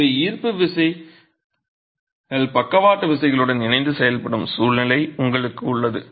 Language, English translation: Tamil, So, you have a situation where gravity forces are acting along with lateral forces